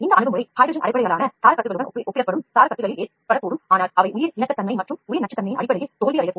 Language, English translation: Tamil, This approach may result in scaffolds that are compared with hydrogen based scaffolds, but they may fail in terms of biocompatibility and bio toxicity